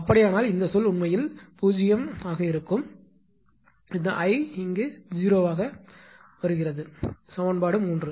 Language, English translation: Tamil, In that case what will happen that this term actually is becoming 0; I into this term is becoming 0; in equation 3